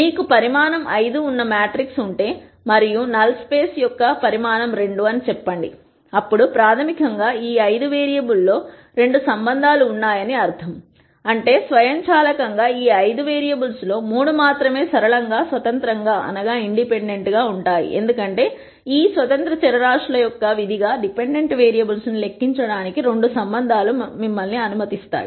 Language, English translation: Telugu, If you have a matrix which is of dimension 5 and let us say the size of null space is 2,then this basically means that there are 2 relationships among these 5 variables, which also automatically means that of these 5 variables only 3 are linearly independent because the 2 relationships would let you calculate the dependent variables as a function of these independent variables